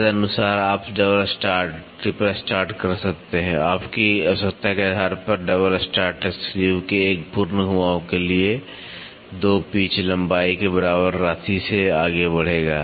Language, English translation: Hindi, Accordingly you can have double start, triple start, depending upon your requirement, a double start will move by an amount equal to 2 pitch length for one complete rotation of the screw